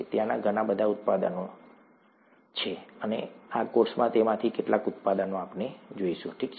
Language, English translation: Gujarati, There are very many products, we’ll see some of those products in this course itself, okay